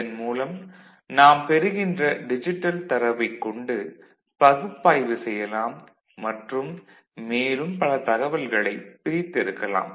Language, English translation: Tamil, The data that we get, the digital data, we can analyze it to, you know, extract many information out of it